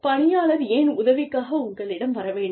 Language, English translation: Tamil, Why should people come to you, for help